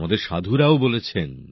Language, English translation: Bengali, Our saints too have remarked